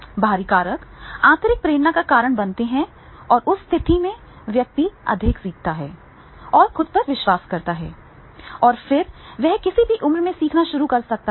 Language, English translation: Hindi, So antristic factors causes the intrinsic motivation and in that case the person learns more and the belief himself in more and then he starts learning at whatever the age he might be